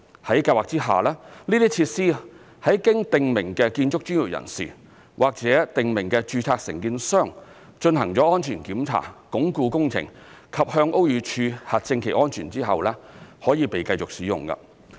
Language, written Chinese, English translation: Cantonese, 在計劃下，這些設施在經訂明建築專業人士或訂明註冊承建商進行安全檢查、鞏固工程及向屋宇署核證其安全後，可以被繼續使用。, The scheme allows the continued use of these features after safety inspection strengthening and certification of their safety by prescribed building professionals or prescribed registered contractors